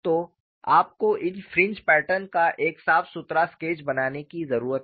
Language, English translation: Hindi, So, you need to make a neat sketch of these fringe patterns